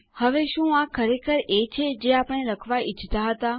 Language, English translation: Gujarati, Now is this really what we wanted to write